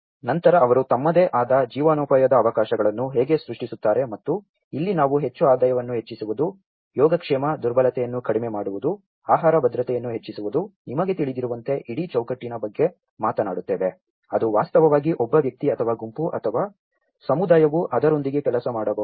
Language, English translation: Kannada, And then how they create their own livelihood opportunities and this is where we talk about the more income increased, wellbeing, reduce vulnerability, increase food security you know, like that there is whole set of framework, which actually an individual or a group or a community can actually work with it